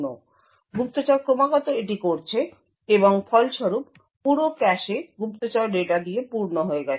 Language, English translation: Bengali, So, spy is continuously doing this and as a result the entire cache is filled with the spy data